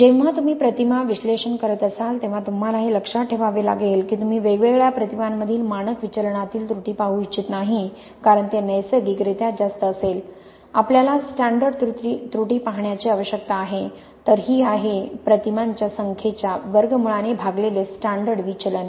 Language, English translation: Marathi, When you are making image analysis you have to be aware, that you do not want to look at the error between the standard deviation between different images because that will naturally be high, what we need to look at a standard error, whereas this is the standard deviation divided by the square root of the number of images